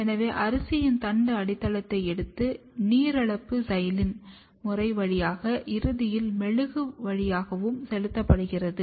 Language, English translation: Tamil, So, we have taken the stem base of the rice, gone through the steps of dehydration then through xylene series and finally into the wax